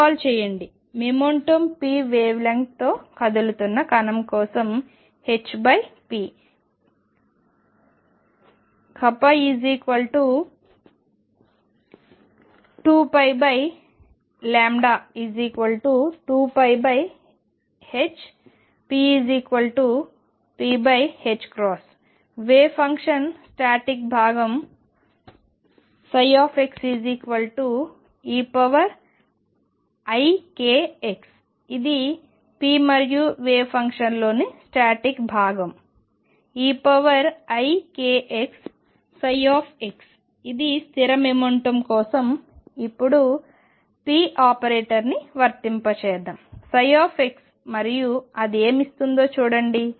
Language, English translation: Telugu, Recall for a particle moving with momentum p wave length is h over p k which is 2 pi over lambda is 2 pi over h p which is p over h cross and the static part of the wave function is e raise to i k x psi x it is a plane way for a fixed momentum and let us now apply p operator on psi x and see what does it give